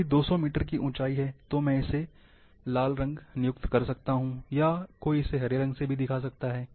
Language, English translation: Hindi, If,there is elevation of 200 metre, I can assign red colour, or somebody can assign green colour